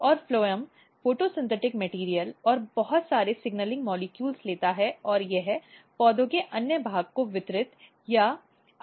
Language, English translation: Hindi, And phloem basically takes photosynthetic material and lot of signaling molecules and it distributes or allocate to other part of the plants